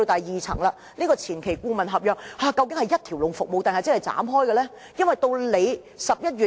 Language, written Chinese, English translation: Cantonese, 然後，有關前期顧問合約，究竟是一條龍服務抑或是分拆的？, Next regarding the services to be provided under the pre - development consultancy were one - stop services or separate services provided?